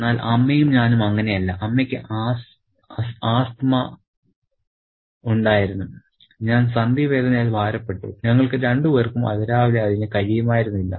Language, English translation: Malayalam, But then, Amma and I were invalid, Amma had asthma and I suffered from joint pain, both of which could play up early in the morning